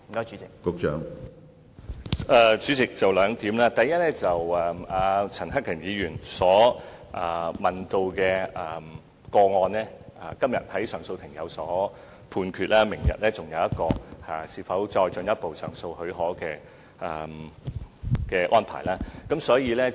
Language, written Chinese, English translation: Cantonese, 主席，第一，就陳克勤議員問及的個案，上訴法庭今天已有判決，明天還會聽取有關上訴至終審法院的許可申請。, President first regarding the case mentioned by Mr CHAN Hak - kan the Court of Appeal has handed down a judgment today . Tomorrow the Court will hear the application for leave to take the appeal to the Final Court of Appeal